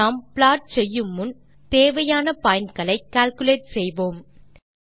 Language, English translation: Tamil, Before we actually plot let us calculate the points needed for that